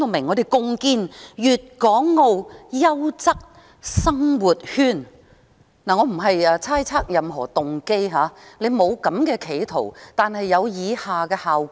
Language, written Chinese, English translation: Cantonese, 我並不是猜測他有任何動機，但即使沒有企圖，卻有以下的效果。, I am not speculating his motives . But even if he does not have any particular motives his so doing will produce the following effects